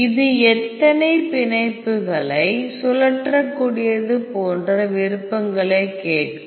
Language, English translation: Tamil, So, this will ask you the options like how many bonds are rotatable